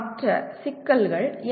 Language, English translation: Tamil, What are the other issues